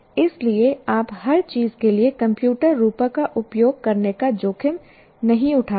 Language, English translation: Hindi, So you cannot afford to use the computer metaphor for everything